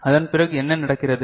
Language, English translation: Tamil, And after that what happens